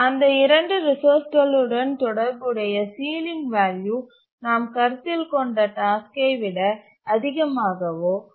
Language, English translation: Tamil, The ceiling value associated with those two resources must be equal to or greater than the task that we are considering